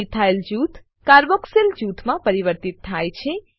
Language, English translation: Gujarati, Methyl group is converted to a Carboxyl group